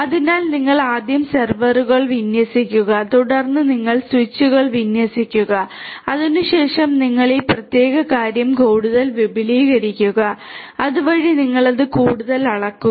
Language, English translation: Malayalam, So, you deploy the servers first then you deploy the switches and thereafter you expand this particular thing further so you scale it up further